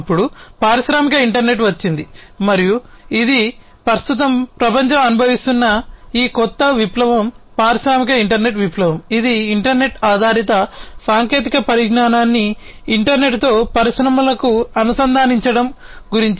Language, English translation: Telugu, Then came the industrial internet and this is this new revolution that the world is currently going through, the industrial internet revolution, which is about integration of internet based technologies to the internet to the industries